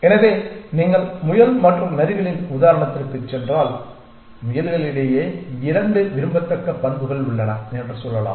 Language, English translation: Tamil, So, if you going back to the rabbit and foxes example, let us say there are 2 desirable properties amongst rabbits